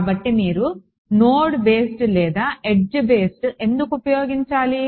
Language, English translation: Telugu, So, why would you use node based or edge based right